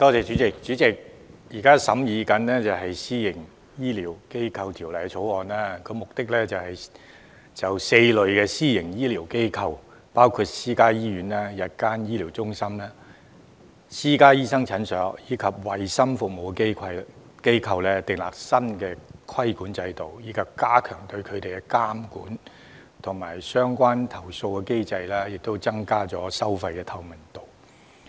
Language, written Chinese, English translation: Cantonese, 主席，現正審議的《私營醫療機構條例草案》旨在就4類私營醫療機構，包括私家醫院、日間醫療中心、私家醫生診所及衞生服務機構，訂立新的規管制度，以加強對它們的監管及相關投訴的機制，增加收費透明度。, Chairman the Private Healthcare Facilities Bill the Bill under examination seeks to establish a new regulatory regime for four types of private healthcare facilities namely private hospitals day procedure centres private clinics and health services establishments in order to strengthen regulation and the relevant complaints mechanism as well as increase price transparency